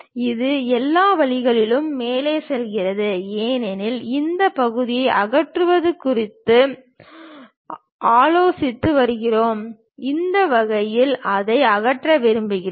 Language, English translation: Tamil, It goes all the way to top; because we are considering remove this part, in that way we would like to remove it